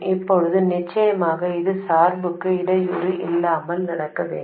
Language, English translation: Tamil, Now of course this must happen without disturbing the bias